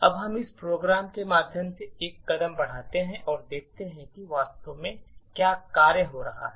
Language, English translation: Hindi, Now let us single step through this program and see what is actually happening in function